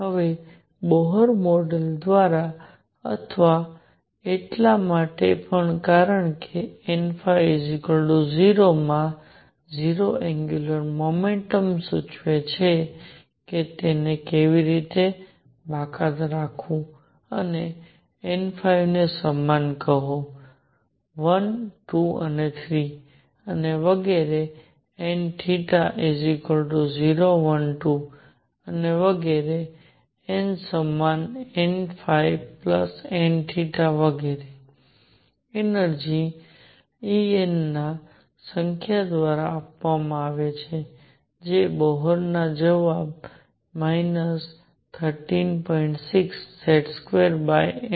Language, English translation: Gujarati, Now by Bohr model or also because n phi equal 0 would imply 0 angular momentum how to exclude that and call n phi equals 1, 2, 3 and so on and n theta equal 0 1, 2 and so on and n equals n phi plus n theta and so, energy E n is given by this number which is same as the Bohr answer minus 13